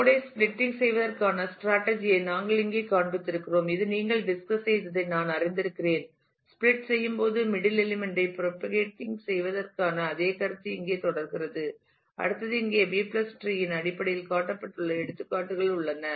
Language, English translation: Tamil, Then we have shown here the strategy to splitting the node, which I have just you know discussed and the same notion of propagating the middle element of the split continues here go to next and here the examples shown in terms of the B + tree